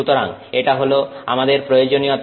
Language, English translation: Bengali, So, that is our requirement